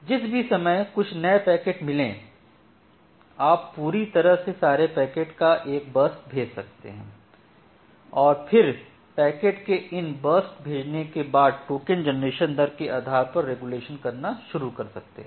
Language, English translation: Hindi, You can send a burst of packets altogether and then again can say after sending these burst of packets you can start doing the regulation, based on the token generation rate